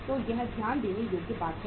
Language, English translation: Hindi, So it is a point of say to be noted